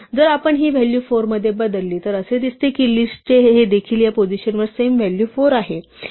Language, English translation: Marathi, If we go and change this value to 4, then list2 also has same value 4 at this position